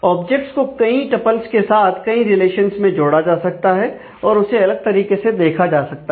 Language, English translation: Hindi, So, that objects can map to multiple tuples, in multiple relations and can be viewed in a different way